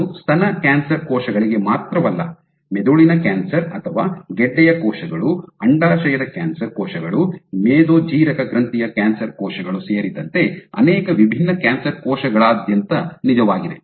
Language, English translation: Kannada, And it is not just true for breast cancer cells, across multiple different cancer cells, including brain cancer or tumor cells, ovarian cancer cells, pancreatic cancer cells so on and so forth